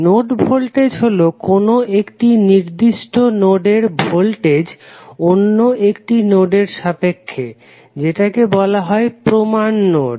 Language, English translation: Bengali, Node voltage is the voltage of a particular node with respect to another node which is called as a reference node